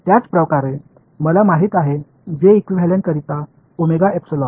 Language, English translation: Marathi, Similarly for j equivalent I know omega epsilon